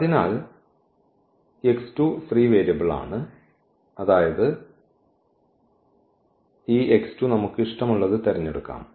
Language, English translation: Malayalam, So, x 2 is free variable free variable; that means, we can choose this x 2 whatever we like